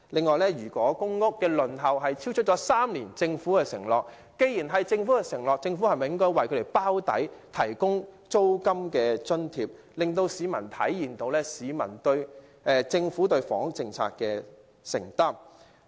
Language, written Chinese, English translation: Cantonese, 既然公屋輪候時間超出政府的3年承諾，政府理應為輪候者"包底"，提供租金津貼，令市民體現政府對房屋政策的承擔。, As the waiting time for PRH has exceeded the three - year target pledged by the Government the Government should act as an underwriter by offering applicants on the waiting list rent allowances which will assure the public of the Governments commitment to its housing policy